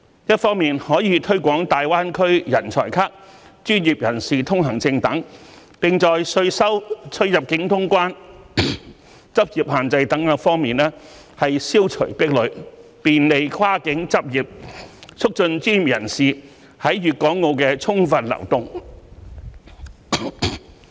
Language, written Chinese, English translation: Cantonese, 一方面可推廣"大灣區人才卡"、"專業人士通行證"等，並在稅收、出入境通關、執業限制等多方面消除壁壘，便利跨境執業，促進專業人士在粵港澳的充分流動。, The SAR Government can promote the ideas of Greater Bay Area talent cards professionals pass etc and remove the obstacles in taxation boundary clearance practice restrictions etc to encourage professional personnel to practice across the boundary and facilitate the movement of professionals in Guangdong Hong Kong and Macao